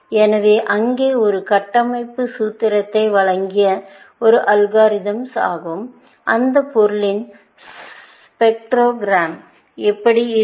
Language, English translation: Tamil, was an algorithm that given a structural formula, what will be the spectrogram of that material look like, essentially